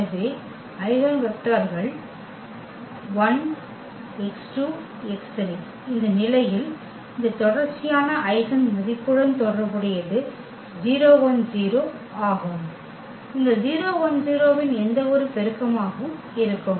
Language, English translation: Tamil, So, the eigenvectors x 1, x, 2, x 3 in this case corresponding to this repeated eigenvalue is coming to be 0 1 0 and any multiple of this 0 1 0